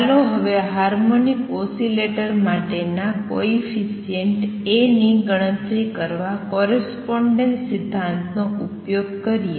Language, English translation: Gujarati, Let us now use correspondence principle to calculate the A coefficient for harmonic oscillator